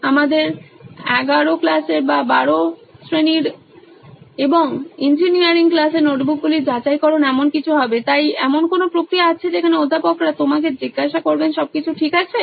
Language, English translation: Bengali, In our 11th ,12th and engineering class there would be a verification of notebooks something like that, so is there any process where Professors ask you, is everything right